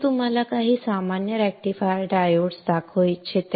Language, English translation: Marathi, I would like to show you some common rectifier diodes